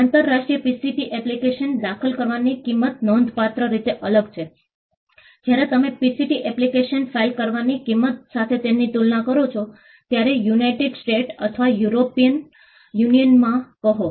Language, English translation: Gujarati, The cost of filing ininternational PCT application is substantially different; when you compare it to the cost of filing a PCT application, say in the United States or in the European Union